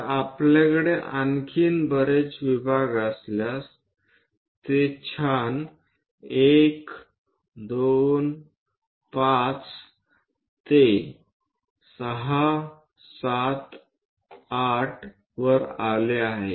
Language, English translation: Marathi, So, if we have many more divisions it comes nicely 1, 2, 5 all the way to 6, 7, 8